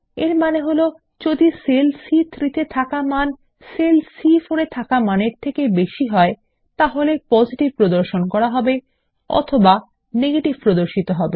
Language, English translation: Bengali, This means if the value in cell C3 is greater than the value in cell C4, Positive will be displayed or else Negative will be displayed.